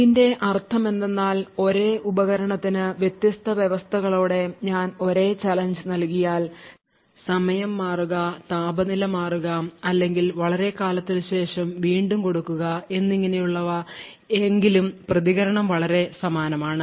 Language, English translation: Malayalam, So, what this means is that if I provide the same challenge to the same device with different conditions like change of time, change of temperature or after a long time or so on, the response is very much similar